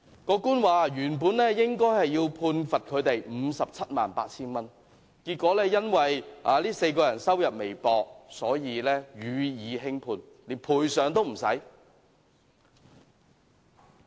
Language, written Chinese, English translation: Cantonese, 法官說原本應該要判罰他們 578,000 元，結果因為這4人收入微薄，所以予以輕判，連賠償也不需要。, The Judge said that they should be sentenced to making a compensation of 578,000 but since the four of them were making meagre earnings a more lenient sentence was meted out and no compensation was required